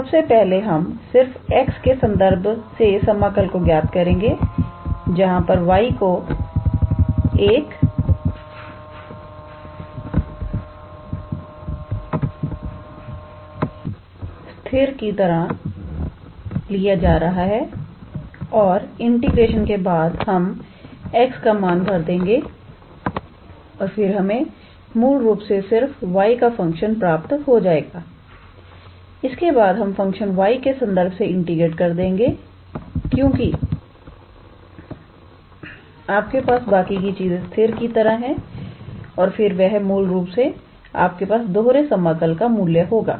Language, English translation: Hindi, So, first we evaluate this integral with respect to x only where y will be treated as constant and after the integration then we substitute the values of x and then we will basically obtain a function of y only and afterwards we integrate with respect to the function y only because other than that you have rest of the things as constant and then that will be actually the value of that double integral